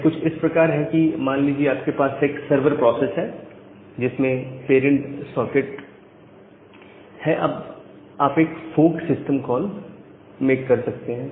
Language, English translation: Hindi, So the idea is something like this you have a server process, which is having the parent socket then, you can make a fork system call